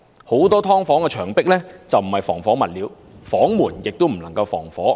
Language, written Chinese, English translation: Cantonese, 很多"劏房"的牆壁並非採用防火物料，房門亦不能防火。, The partitions of many subdivided units are not made of fire - resistant materials and the doors are not fireproof either